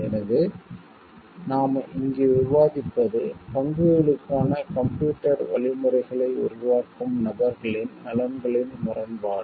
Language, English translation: Tamil, So, what we are discussing over here is the conflict of interest of the people who are developing the computer training like you algorithms for the stocks